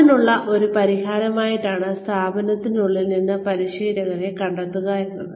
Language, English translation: Malayalam, One solution is, to look inside and find trainers, from within the organization